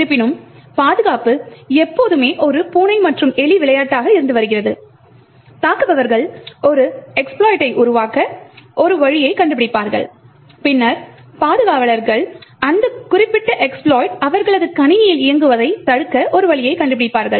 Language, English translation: Tamil, However, security has always been a cat and mouse game the attackers would find a way to create an exploit and then the defenders would then find a way to prevent that particular exploit from running on their system